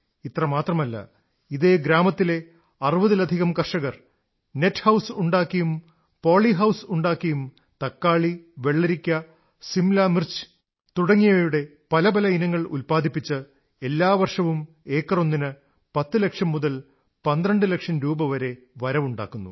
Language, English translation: Malayalam, Not only this, more than 60 farmers of this village, through construction of net house and poly house are producing various varieties of tomato, cucumber and capsicum and earning from 10 to 12 lakh rupees per acre every year